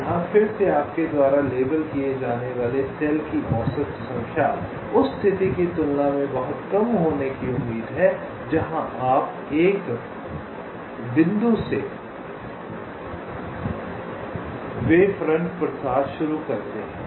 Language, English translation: Hindi, so again here, the average number of cells you will be leveling will is expected to be matchless, as compared to the case where you start the wavefront propagation from one point